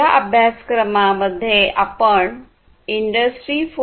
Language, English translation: Marathi, So, in this course, you are going to learn about Industry 4